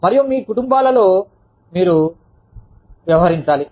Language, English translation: Telugu, And, you have to deal with families